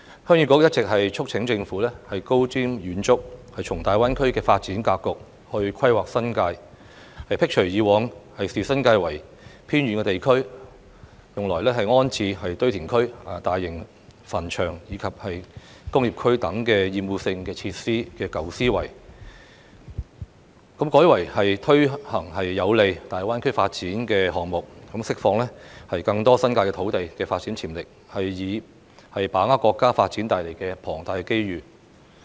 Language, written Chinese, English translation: Cantonese, 鄉議局一直促請政府高瞻遠矚，從大灣區的發展格局來規劃新界，摒除以往視新界為偏遠地區而用來安置堆填區、大型墳場及工業區等厭惡性設施的舊思維，改為推行有利大灣區發展的項目，釋放更多新界土地的發展潛力，以把握國家發展帶來的龐大機遇。, Heung Yee Kuk has been urging the Government to make visionary planning for the New Territories by dovetailing with the development pattern of GBA abandoning the old mindset of regarding the New Territories as remote areas for the relocation of obnoxious facilities such as landfills large cemeteries and industrial estates and taking forward projects that are conducive to the development of GBA so as to unleash the development potential of the lands in the New Territories thereby seizing the huge opportunities brought about by the development of our country